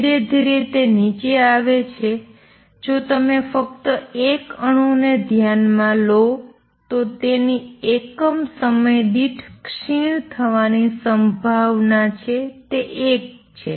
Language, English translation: Gujarati, Slowly it comes down if you consider only 1 atom it has a probability of decaying per unit time which is equal to 1